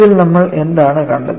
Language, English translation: Malayalam, And, in this, what we saw